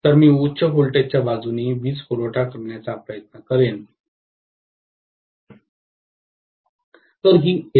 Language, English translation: Marathi, So, I would try to apply the power supply from the high voltage side, whereas this is LV, why so